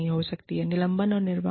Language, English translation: Hindi, Maybe, suspension and discharge